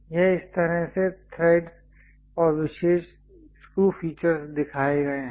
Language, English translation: Hindi, This is the way ah threads and special screw features we will show it